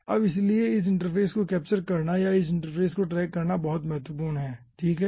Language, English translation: Hindi, okay now, so this capturing this interface or tracking this interface will be very, very important